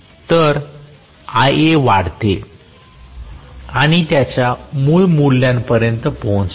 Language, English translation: Marathi, So, Ia increases and reaches its original value